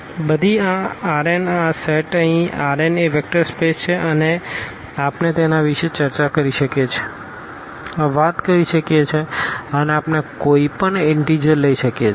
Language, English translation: Gujarati, So, this R n this set here R n is a vector space and we can talk about and we can take any integers here